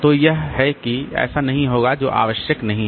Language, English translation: Hindi, So, that is that will not happen, that is not necessary